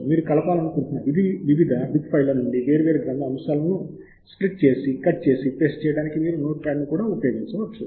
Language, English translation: Telugu, you can also use the notepad to cut and paste a different bibliographic items from different bib files that you may want to combine or split